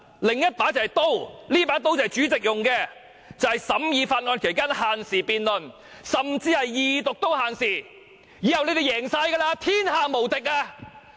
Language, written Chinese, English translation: Cantonese, 另一把就是刀，這把刀是主席用的，就是審議法案期間限時辯論，甚至在二讀也限時，以後你們"贏晒"，天下無敵。, The other one is the sabre for the President He can limit the debating time during the scrutiny of any Bill; he may also limit the time for the Second Reading . From now on you people will be the ultimate winner . You are invincible in this world